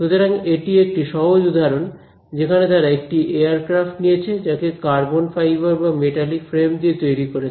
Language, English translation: Bengali, So, in this simple example what they have done is they have taken a aircraft and either made it out of carbon fiber or a metallic frame